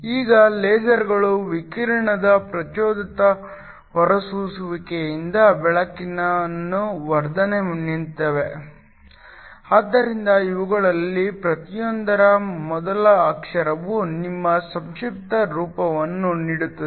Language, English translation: Kannada, Now LASERs stand for Light Amplification by Stimulated Emission of Radiation, so the first letter in each of this comes together to give your acronym that is the laser